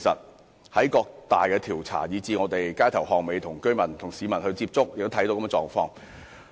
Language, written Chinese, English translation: Cantonese, 我們在各大調查，以至在街頭巷尾與市民接觸時，都看到這種狀況。, This is evident from major surveys and our contact with people on the streets